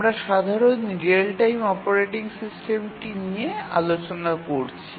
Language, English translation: Bengali, So, this is the simplest real time operating system